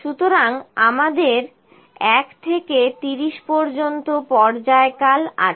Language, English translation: Bengali, So, we have the period from 1 to 30